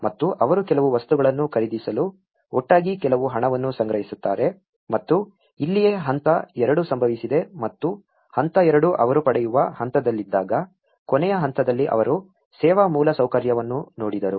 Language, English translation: Kannada, And they raise some funds together to for buying some materials and this is where the stage two have occurred and the stage two in the last stage when they are about to get so they looked into the service infrastructure as well